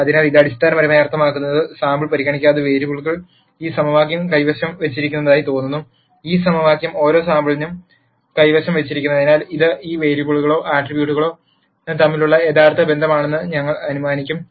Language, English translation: Malayalam, So, what this basically means is, irrespective of the sample, the variables seem to hold this equation and since this equation is held for every sample we would assume that this is a true relationship between all of these variables or attribute